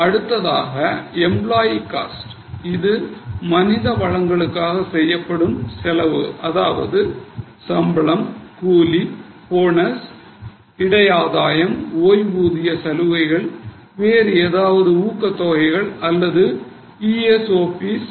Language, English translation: Tamil, This is the cost on all human resources will include salary, wages, bonuses, perquisites, retirement benefits, any other incentives or ESOPs